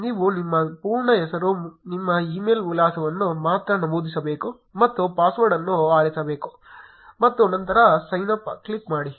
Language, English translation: Kannada, You only have to enter your full name, your email address and choose a password and then click on sign up